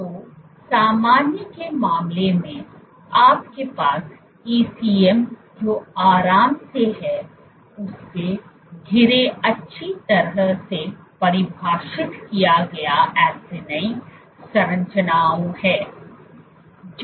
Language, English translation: Hindi, So, in case of normal, you have well defined acini structures surrounded by this ECM which is relaxed